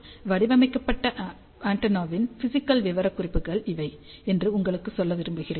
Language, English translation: Tamil, So, I just want to tell you these are the physical specifications of the design antenna